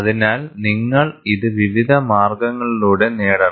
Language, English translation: Malayalam, So, you have to achieve this by various means